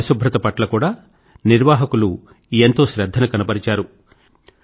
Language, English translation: Telugu, The organizers also paid great attention to cleanliness